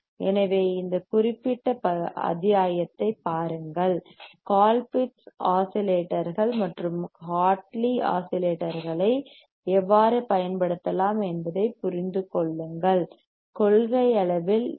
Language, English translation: Tamil, So, look at this particular module, understand how the Colpitt’s oscillators and the Hartley oscillators can be used; in principle how the LC oscillators can be designed